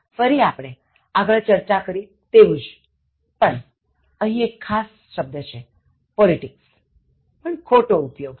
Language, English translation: Gujarati, Again, similar to the previous discussions but then here it is a special word politics, wrong usage